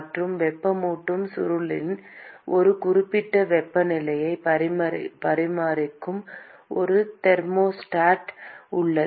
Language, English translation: Tamil, And there is a thermostat which maintains a certain temperature of the heating coil